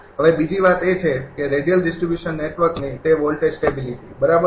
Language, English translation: Gujarati, Now, another thing is, that voltage stability of radial distribution network, right